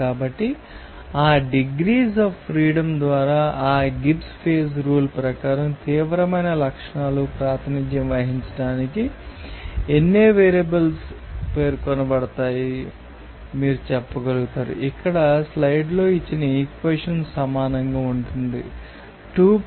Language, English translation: Telugu, So, by that degree of freedom, you will be able to say that how many numbers of variables will be specified to represent it is intense properties according to this Gibbs phase rule, the equation here given in the slides as if that will be equal to 2 + C P r